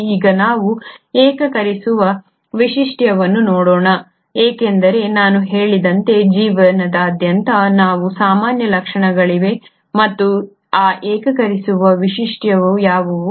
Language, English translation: Kannada, Now let us look at the unifying feature because as I said there are common features across life and what as that unifying features